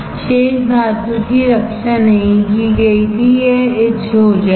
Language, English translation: Hindi, Rest of the metal was not protected it will get etched, it will get etched